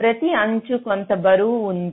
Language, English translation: Telugu, ok, each edge will be having some weight